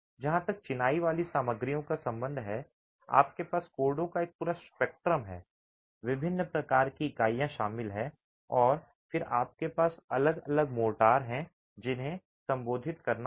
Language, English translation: Hindi, As far as the masonry materials are concerned, you have an entire spectrum of codes, the different types of units are covered and then you have different motors that have to be addressed